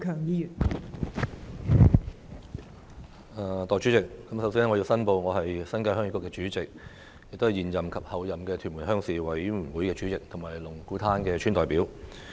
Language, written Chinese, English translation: Cantonese, 代理主席，首先我要申報，我是新界鄉議局主席，也是現任及候任屯門鄉事會主席和龍鼓灘的村代表。, Deputy President first of all I have to declare that I am the Chairman of HYK the existing Chairman and Chairman - Designate of the Tuen Mun Rural Committee as well as the indigenous inhabitant representative of Lung Kwu Tan Village in Tuen Mun